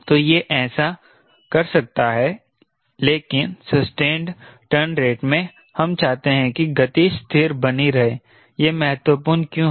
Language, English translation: Hindi, ok, but in sustained turn rate we want the speed should remain constant, right, why it is important